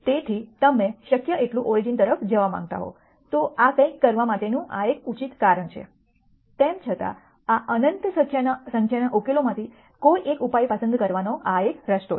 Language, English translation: Gujarati, So, you want to be as close to origin as possible this is just one justi cation for doing something like this nonetheless this is one way of picking one solution from this in nite number of solutions